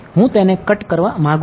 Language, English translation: Gujarati, I want to reduce this